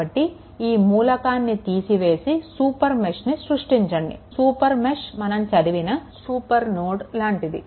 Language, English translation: Telugu, So, exclude this element because we have by excluding this we are creating a super mesh like super node we have studied